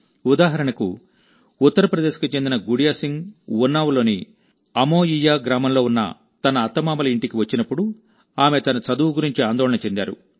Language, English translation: Telugu, For example, when Gudiya Singh of UP came to her inlaws' house in Amoiya village of Unnao, she was worried about her studies